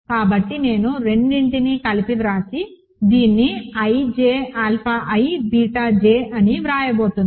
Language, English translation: Telugu, So, I am going to write both of them together and write this as a ij alpha i beta j, right